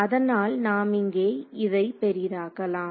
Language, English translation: Tamil, So, let us zoom this guy over here right